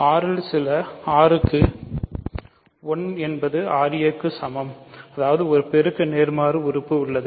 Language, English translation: Tamil, So, 1 is equal to ra for some r in R; that means, a has a multiplicative inverse right